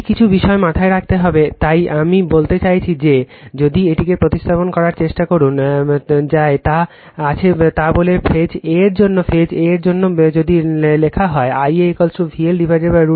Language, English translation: Bengali, This certain things you have to keep it in mind right So, I mean if you try to represent this by your what you call whatever you have got say for phase a for phase a right if you see that I a is equal to V L upon root 3 angle minus 30 upon Z y